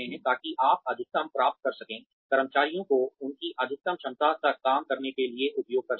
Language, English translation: Hindi, So, that you can get the maximum, get the employees to access to work to their maximum potential